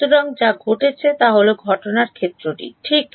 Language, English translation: Bengali, So, what has happened is the incident field right